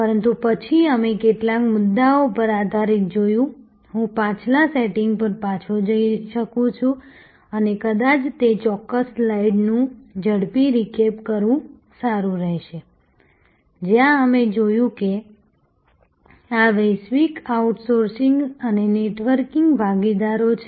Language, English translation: Gujarati, But, then we saw based on some of the issues, I can go back to the previous setting and may be it will be good to do a quick recap of that particular slide is, where we looked at that this is the global outsourcing and networking partners